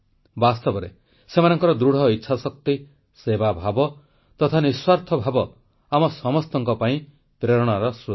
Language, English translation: Odia, In fact, their strong resolve, spirit of selfless service, inspires us all